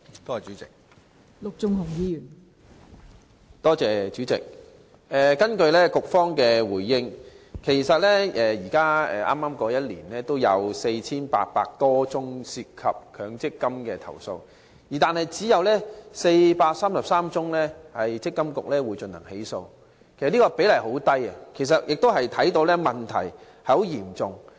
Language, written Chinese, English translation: Cantonese, 代理主席，根據局方的主體答覆，本年度有4800多宗涉及強積金的投訴，但積金局只對當中433宗個案進行起訴，比例甚低，問題仍然嚴重。, Deputy President according to the main reply provided by the Bureau over 4 800 MPF - related complaints were received this year but MPFA has only instituted prosecutions against 433 cases of them . Such a low proportion means that the problem remains serious